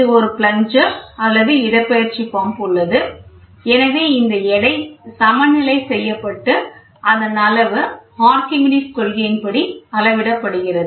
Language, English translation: Tamil, So, a plunger or a displacement pump is there so, here so, this weight is balanced and we try to measure the gauge, it works on Archimedes principle